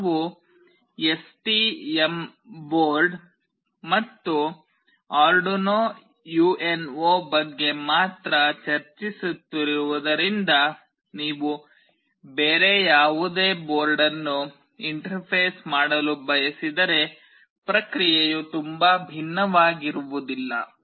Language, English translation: Kannada, As we will be only discussing about STM board and Arduino UNO, if you want to interface any other board the process will not be very different